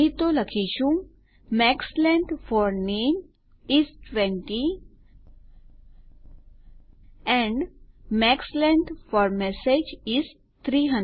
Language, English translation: Gujarati, Otherwise we will say Max length for name is 20 and max length for message is 300